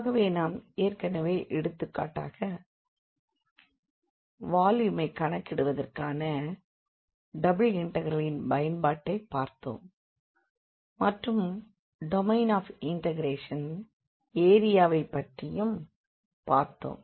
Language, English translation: Tamil, So, we have already seen the applications of double integrals for computing volume for example, and also the area of the domain of integration